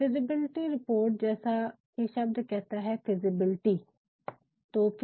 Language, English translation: Hindi, Feasible report as the term itself, say feasibility